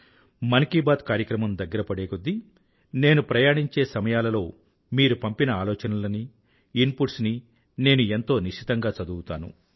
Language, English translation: Telugu, Andas the episode of Mann Ki Baat draws closer, I read ideas and inputs sent by you very minutely while travelling